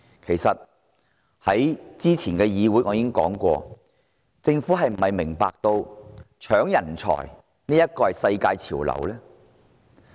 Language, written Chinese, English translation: Cantonese, 我早前在本會已經問過，政府是否明白搶奪人才已是世界潮流？, As I have asked in this Council before is the Government aware that the battle for talent has become a global trend?